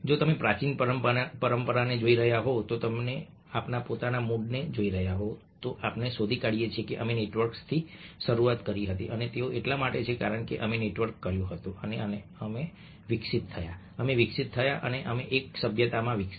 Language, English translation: Gujarati, so if you are looking at the ancient tradition, if you are looking at our own groups, we find that we started with networks and it was because we networked that we evolved, we developed and we grew into civilization